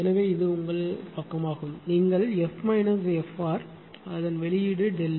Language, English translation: Tamil, So, this is your this side you are making F minus f r the output is delta F